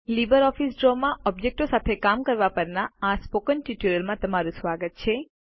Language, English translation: Gujarati, Welcome to the Spoken Tutorial on Basics of Working with Objects in LibreOffice Draw